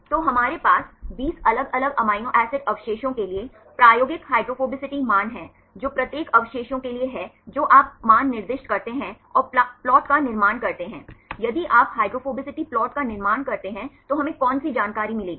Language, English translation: Hindi, So, we have experimental hydrophobicity values for the 20 different amino acid residues right for each residues you assign the values and construct the plot, which information we will get if you construct hydrophobicity plot